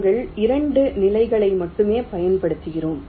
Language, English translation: Tamil, we are using only two levels